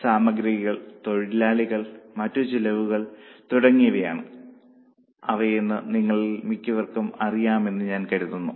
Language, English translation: Malayalam, I think most of you know it is material, labor or expenses